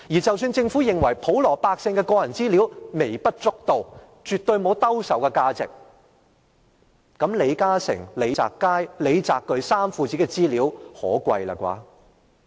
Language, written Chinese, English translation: Cantonese, 即使政府認為普羅百姓的個人資料不重要，沒有兜售價值，那麼李嘉誠、李澤楷和李澤鉅父子的資料夠可貴吧？, If the Government considers the personal data of members of the general public not important and do not have much value for reselling how about the personal data of LI Ka - shing and his two sons Richard LI and Victor LI?